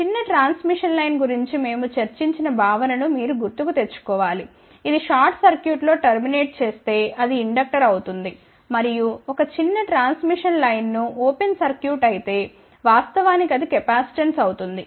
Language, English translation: Telugu, You have to recall simply the concept which we discuss that is small transmission line, if it is terminated in a short circuit it realizes inductor and a small transmission line if it is open circuit at actually realizes a capacitance